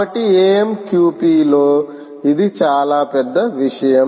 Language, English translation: Telugu, so this is a big thing in amqp ah